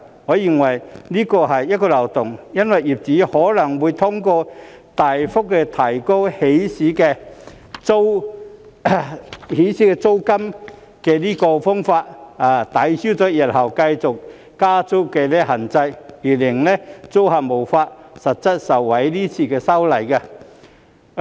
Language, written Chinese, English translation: Cantonese, 我認為這是漏洞，因為業主可能會通過大幅提高起始租金的方法，抵銷日後繼續加租的限制，而令租客無法實際受惠於今次的修例。, I consider this a loophole because landlords might offset the restriction on subsequent rent increases in the future by means of substantially increasing the initial rent of SDUs which makes tenants unable to genuinely benefit from the current legislative amendment